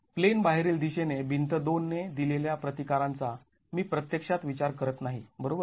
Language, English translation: Marathi, I'm really not going to be considering the resistance offered by wall 2 in the out of plane direction